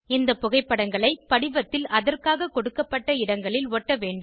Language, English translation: Tamil, These photos have to pasted on the form in the spaces provided